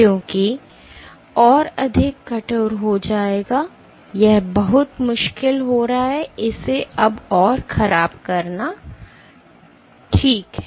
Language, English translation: Hindi, Because the more stiffed will be it is going to be very difficult to deform it anymore ok